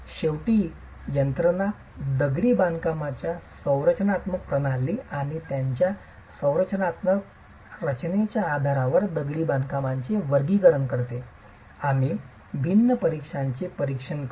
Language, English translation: Marathi, Finally to look at systems, masonry structural systems and the classification of masonry based on their structural configuration, we will examine different categories